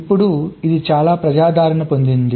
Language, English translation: Telugu, it has become so popular